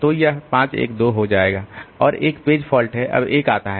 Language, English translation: Hindi, So, it will become 5 1 2 and there is a page fault